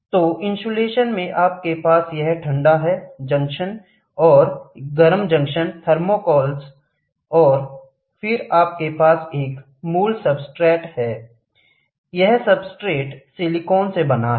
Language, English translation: Hindi, So, in an insulation, you have this cold junction and hot junction thermocouples and then you have a basic substrate, this substrate is made out of silicon